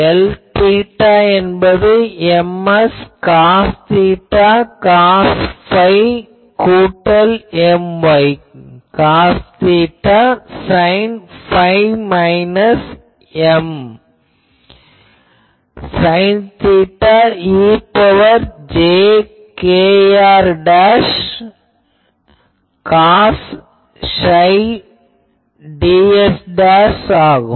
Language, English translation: Tamil, So, if I put that we get N theta is J x cos theta cos phi plus J y cos theta sine phi minus J z sine theta e to the power plus jkr dashed cos psi ds dash